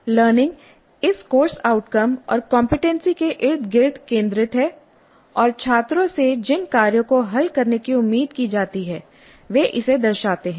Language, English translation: Hindi, Learning is focused around this CO competency and the tasks students are expected to solve reflect this